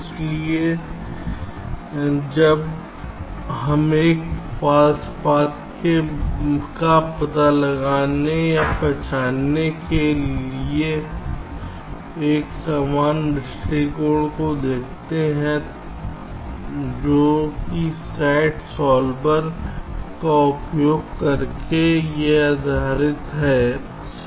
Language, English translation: Hindi, ok, so now we look at another approach to ah detecting or identifying false path that is based on using a sat solver